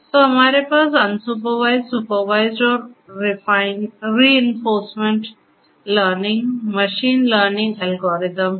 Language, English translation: Hindi, So, we have unsupervised, supervised and reinforcement learning machine learning algorithms